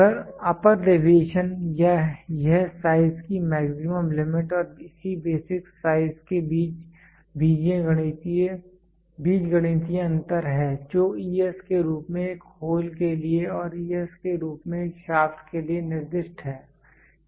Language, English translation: Hindi, Upper deviation it is the algebraic difference between the maximum limit of the size and the corresponding basic size it is designated as ES for a hole and es for a shaft, ok